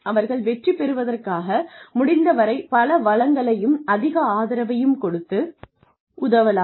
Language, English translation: Tamil, Give them, as much support and help, and as many resources as possible, to help them succeed